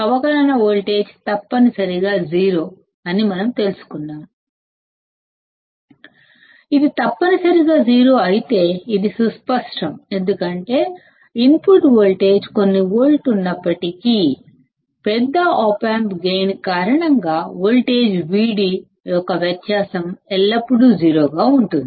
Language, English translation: Telugu, We assume that the differential voltage is essentially 0; if this is essentially 0, then this is obvious because even if the input voltage is of few volts; due to the large op amp gain the difference of voltage V d will always be 0